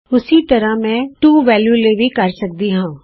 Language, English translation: Punjabi, Similarly I can do that for the To value